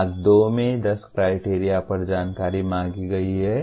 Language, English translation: Hindi, Part 2 seeks information on 10 criteria